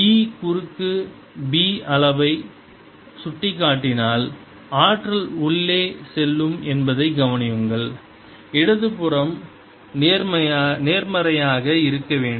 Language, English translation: Tamil, notice that if e cross b is pointing into the volume, energy will be going in the left hand side should be positive